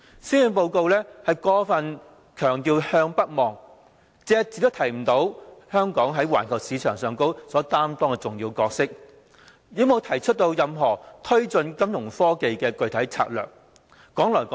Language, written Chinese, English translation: Cantonese, 施政報告過分強調"向北望"，隻字不提香港在環球市場上的重要角色，亦沒有提出任何推動金融科技發展的具體策略。, The Policy Address attaches too much importance to looking northward loses sight of the vital role played by Hong Kong in the international market and fails to map out any concrete strategy to take forward the development in Fintech